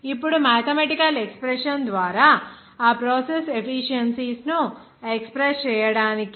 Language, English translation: Telugu, Now, to express all those process efficiencies by that the mathematical expression